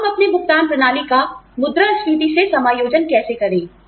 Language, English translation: Hindi, How do we adjust our pay systems, to inflation